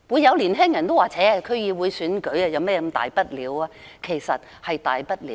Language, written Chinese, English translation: Cantonese, 有年輕人會說："那是區議會選舉而已，有甚麼大不了？, Young people may argue It is only a DC election . What is the big deal anyway?